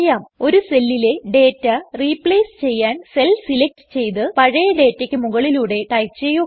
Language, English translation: Malayalam, To replace the data in a cell, simply select the cell and type over the old data